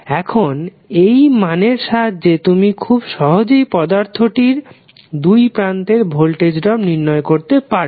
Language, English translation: Bengali, And now using this value you can simply calculate the value of voltage drop across the the element